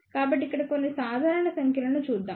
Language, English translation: Telugu, So, let just look at some typical numbers here